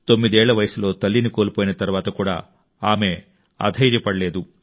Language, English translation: Telugu, Even after losing her mother at the age of 9, she did not let herself get discouraged